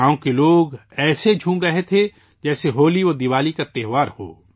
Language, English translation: Urdu, The people of the village were rejoicing as if it were the HoliDiwali festival